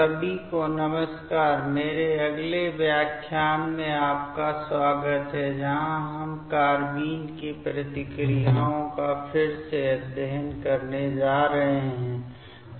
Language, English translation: Hindi, Hello everybody, welcome to my next lecture where we are going to study again the Reactions of Carbenes